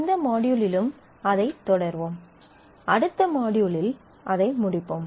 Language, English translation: Tamil, We will continue that in this module as well, and actually conclude it in the next module